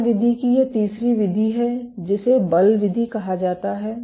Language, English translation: Hindi, There is a third mode of operation which is called the force mode